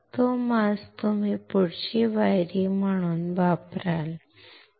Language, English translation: Marathi, That mask you will use as a next step ok